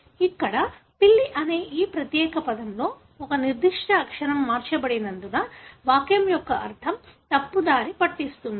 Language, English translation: Telugu, Here, because of one particular letter being changed in this particular word that is cat, the meaning of the sentence is misleading